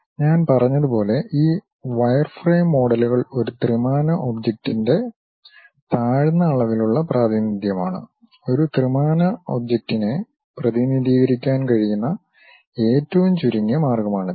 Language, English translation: Malayalam, As I said these wireframe models are low dimensional representation of a three dimensional object; this is the minimalistic way one can really represent 3D object